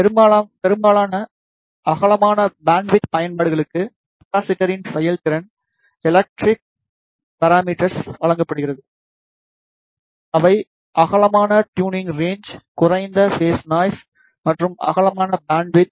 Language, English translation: Tamil, For most of the wide band applications performance is given by the electrical parameters of capacitors, which is white tuning range and phase noise and wide bandwidth